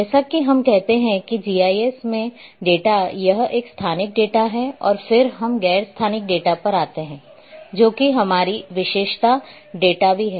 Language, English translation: Hindi, Data in GIS we say this as a spatial data and then we come to the non spatial data, which is our attribute data as well